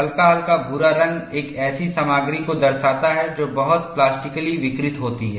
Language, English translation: Hindi, The slight light brown color, shows a material plastically deformed